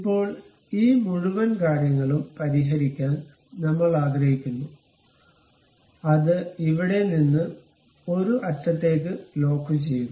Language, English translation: Malayalam, Now, we want to really fix this entire thing, lock it from here to one of the end